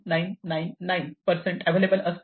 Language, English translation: Marathi, 9999 percent of the time it is available